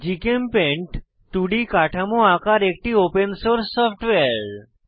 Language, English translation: Bengali, GchemPaint is an Open source software for drawing 2D chemical structures